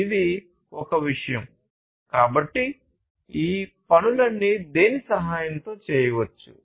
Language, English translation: Telugu, So, this is one thing; so all of these things can be done with the help of what